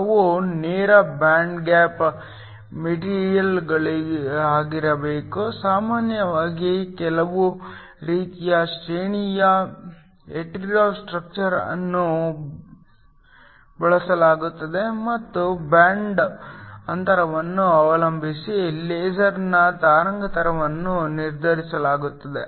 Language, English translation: Kannada, They have to be direct band gap materials usually some sort of a graded hetero structure is used and depending upon the band gap the wavelength of the laser will be determined